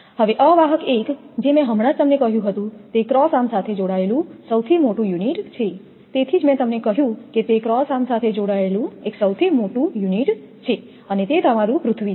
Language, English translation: Gujarati, Now, insulator one just I told you is that top most unit connected to the cross arm that is why I told you it is a top most unit connected to the cross arm and your that is earth